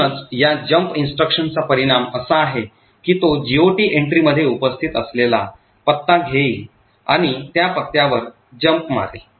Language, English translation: Marathi, Therefore, the result of this jump instruction is that it is going to take the address present in the GOT entry and jump to that address